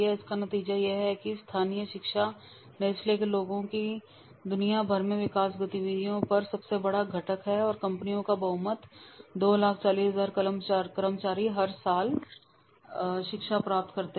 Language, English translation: Hindi, The result is that local training is the largest component of nestless people development activities worldwide and a substantial majority of the companies to like 40,000 employees received training every year